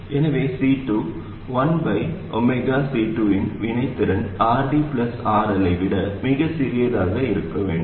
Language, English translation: Tamil, So the reactants of C2, 1 over omega C2, must be much smaller than RD plus RL